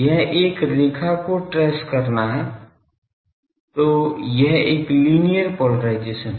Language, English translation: Hindi, It is tracing a line; so, it is a linear polarisation